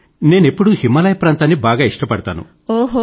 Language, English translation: Telugu, Well I have always had a certain fondness for the Himalayas